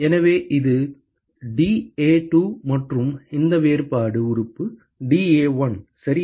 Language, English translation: Tamil, So, this is dA2 and this differential element is dA1, ok